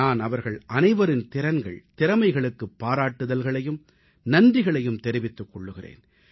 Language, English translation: Tamil, I congratulate and thank those persons for their talent and skills